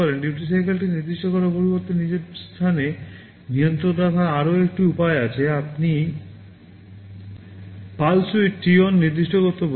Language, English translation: Bengali, Instead of specifying the duty cycle there is another way of having the control with yourself; you can specify the pulse width t on